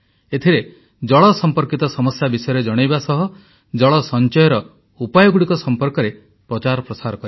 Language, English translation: Odia, In this campaign not only should we focus on water related problems but propagate ways to save water as well